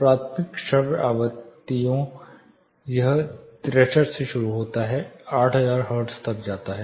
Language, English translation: Hindi, Primary audible frequencies it starts from 63 goes to 8000 hertz